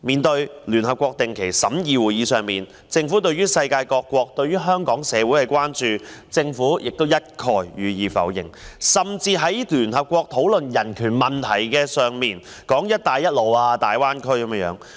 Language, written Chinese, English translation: Cantonese, 在聯合國的定期審議會議上，面對世界各國對香港社會的關注，政府一概否認，甚至在聯合國討論人權問題時，談論"一帶一路"及大灣區。, At the meetings of the Universal Periodic Review of the United Nations the Government denied all the concerns expressed by the rest of the world about Hong Kongs society and had even talked about the Belt and Road Initiative and the Greater Bay Area when the United Nations discussed the human rights issues